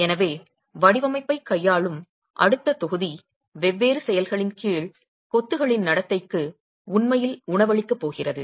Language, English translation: Tamil, So the next module which will deal with design is going to be really feeding into the behavior of masonry under different actions